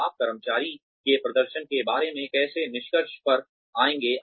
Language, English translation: Hindi, How will you come to a conclusion, about the performance of the employee